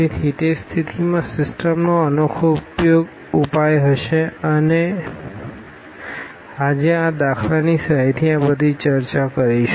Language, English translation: Gujarati, So, in that case the system will have unique solution we will discuss all these with the help of example today itself